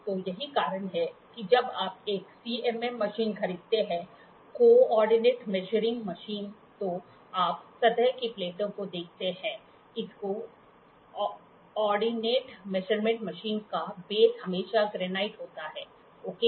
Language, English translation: Hindi, So, that is why you see surface plates, when you buy a CMM machine; Co ordinate Measuring Machine, the base of this coordinate measuring machine is always a granite, ok